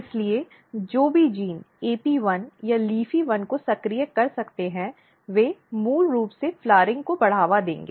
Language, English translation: Hindi, So, whatever gene can activate AP1 or LEAFY1 they will basically promote the flowering